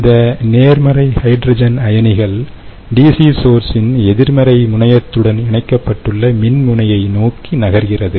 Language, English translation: Tamil, hydrogen ions, being positively charged, moved to the electrode connected with the negative terminal of the dc source